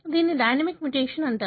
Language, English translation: Telugu, It is called as a dynamic mutation